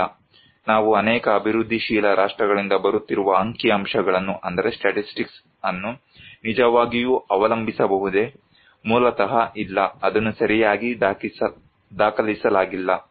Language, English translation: Kannada, No, can we really depend on the statistics that we are coming from many developing countries; basically, no, it is not well documented